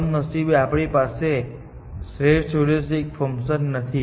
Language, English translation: Gujarati, Unfortunately, we do not have perfect heuristic functions